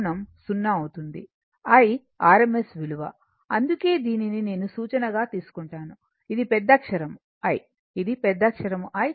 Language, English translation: Telugu, I is the rms value right, so that is why this I is taken as a reference, this is capital I, this is capital I